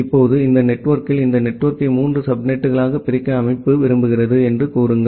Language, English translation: Tamil, Now, in this network, say the organization want to divide this network into three subnet